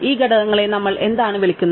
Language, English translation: Malayalam, What do we call these components